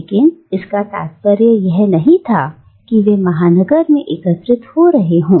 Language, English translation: Hindi, But they were gathering not necessarily in the metropolis